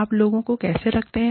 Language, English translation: Hindi, How do you keep people